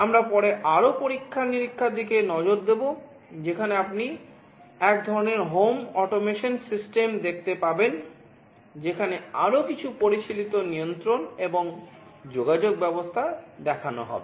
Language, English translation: Bengali, We would look at more experiments later on, where you will see some kind of home automation system, where some more sophisticated kind of control and communication mechanism will be shown